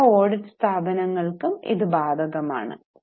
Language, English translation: Malayalam, It also is applicable to all audit firms